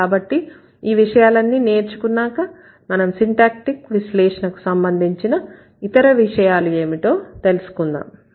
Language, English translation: Telugu, So with that we'll see what are the other things that syntactic analysis can do